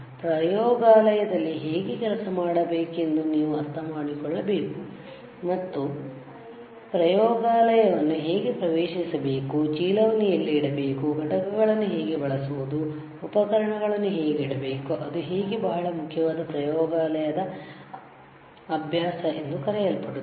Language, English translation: Kannada, You should understand how to work in a laboratory, and that is called good laboratory practices how to enter the lab, where to keep the bag, how to use the components, how to place the equipment, that is how it is very important all, right